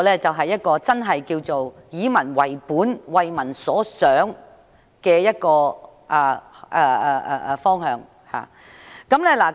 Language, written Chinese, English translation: Cantonese, 這才是真正以民為本、為民所想的方向。, This is truly gearing to the needs and thoughts of the people